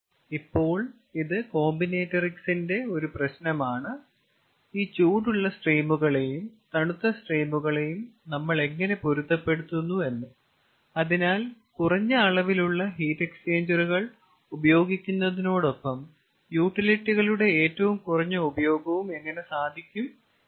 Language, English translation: Malayalam, now this is a problem of combinatrodics: how we match these hot streams and cold streams so that minimum number of heat exchangers are there and minimum amount of utilization of the utilities are there